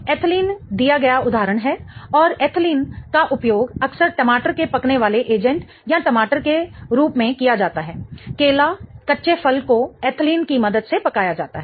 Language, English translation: Hindi, Okay, ethylene is the example given and ethylene is more often used for as a tomato ripening agent or tomato bananas